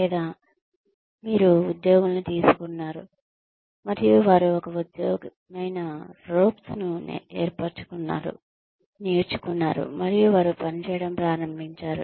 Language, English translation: Telugu, Or, you have taken in employees, and they have sort of learnt the ropes, and they have started working